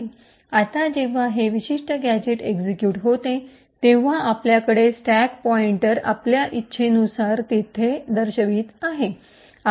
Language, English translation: Marathi, Now when this particular gadget executes, we have the stack pointer pointing here as we want